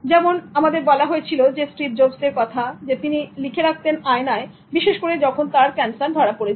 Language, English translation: Bengali, Like Steve Jobs we are told that he wrote on the mirror that that is especially when he was diagnosed for his cancer